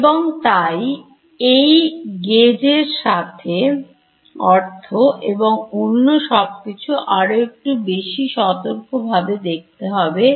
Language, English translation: Bengali, And so, this gauge condition and all has to be seen little bit more carefully